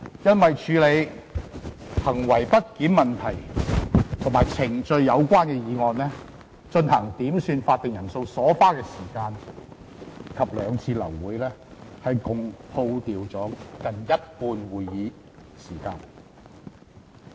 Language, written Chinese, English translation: Cantonese, 因為處理行為不檢問題和與程序有關的議案，以及進行點算法定人數所花的時間及兩次流會，共虛耗近一半的會議時間。, Almost half of the Council meeting time has been wasted on handling misconduct issues procedural motions and quorum calls with the latter eventually led to two times of meeting termination